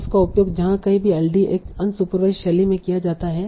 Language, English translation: Hindi, Now it can be used wherever LDA is used in an unsupervised fashion